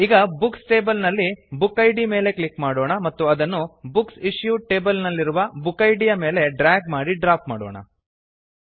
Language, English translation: Kannada, Now, let us click on the Book Id in the Books table and drag and drop it on the Book Id in the Books Issued table